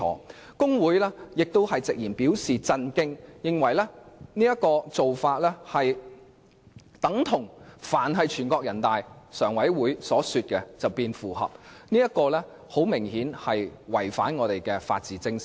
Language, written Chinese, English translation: Cantonese, 大律師公會直言對此表示震驚，認為此宣布等同指"但凡全國人大常委會所說符合的便是符合"，這顯然違反我們的法治精神。, The Bar Association bluntly expressed that it was appalled as this was tantamount to saying that it is consistent because NPCSC says so which is obviously against the rule of law